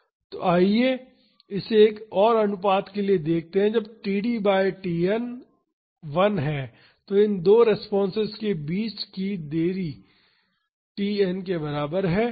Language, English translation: Hindi, So, let us see this for one more ratio so, when td by Tn is 1 the delay between these two responses is equal to Tn